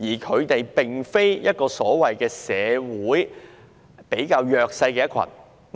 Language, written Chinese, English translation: Cantonese, 他們並非社會上比較弱勢的人。, They are not a socially disadvantaged group